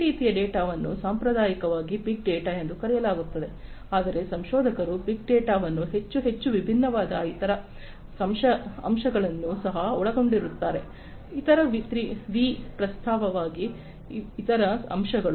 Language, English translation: Kannada, These kind of data traditionally were termed as big data, but as researchers you know what with big data more and more they also included few more different other aspects; other aspects other V’s in fact